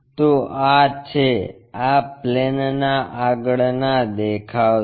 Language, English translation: Gujarati, So, this is the,from frontal view this plane